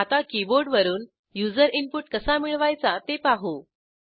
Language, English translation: Marathi, Now let us quickly see how to get user input via keyboard